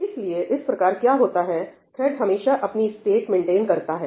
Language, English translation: Hindi, So, that way what happens is that a thread always maintains its state